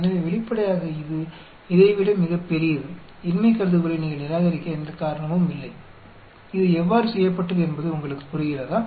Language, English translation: Tamil, So obviously, this is much larger than this, there is no reason for you to reject the null hypothesis do you understand how this is done